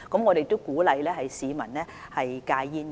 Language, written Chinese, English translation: Cantonese, 我們亦鼓勵市民戒煙。, We also encourage people to quit smoking